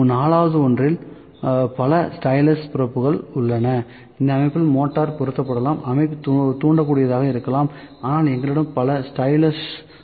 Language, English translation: Tamil, So, in the 4th one, multiple styluses probe, the system can be motorized, system can be inductive, but we have multiple styluses